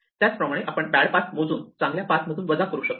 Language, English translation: Marathi, So, we can count these bad paths and subtract them from the good paths